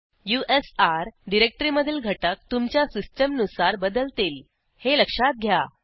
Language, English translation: Marathi, Please note that the content for /usr directory may vary on your system